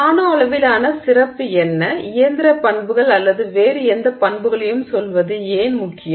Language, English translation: Tamil, Okay so what is special about the nanoscale and why should it matter at all with respect to say mechanical properties or any other properties